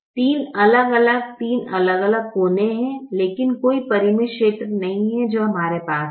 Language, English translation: Hindi, there are three distinct corner, there are three distinct corner points, but there is no finite region that we have